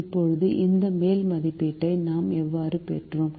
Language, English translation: Tamil, now how did we get this upper estimate